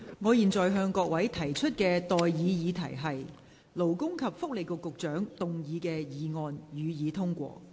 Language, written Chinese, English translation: Cantonese, 我現在向各位提出的待議議題是：勞工及福利局局長動議的議案，予以通過。, I now propose the question to you and that is That the motion moved by the Secretary for Labour and Welfare be passed